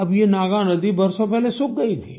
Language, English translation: Hindi, Years ago, the Naagnadi had all dried up